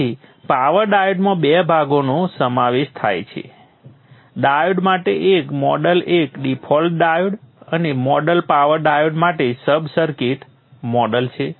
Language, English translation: Gujarati, So the power diode is consisting of two parts, a model for the diode default diode and the sub circuit model for the power diode